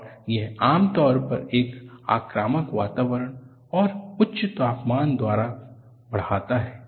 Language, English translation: Hindi, And this is, usually promoted by aggressive environment and high temperatures